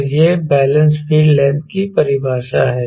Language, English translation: Hindi, so this is the balance field length definition